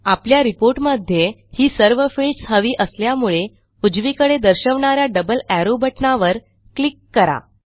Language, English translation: Marathi, We want all the fields in our report, so well simply click on the double arrow button towards the right